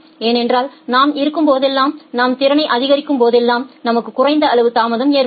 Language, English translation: Tamil, Because whenever you have in, whenever you are increasing the capacity we will have less amount of delay